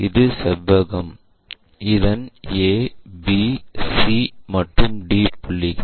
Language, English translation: Tamil, So, your A point, B point, C and D points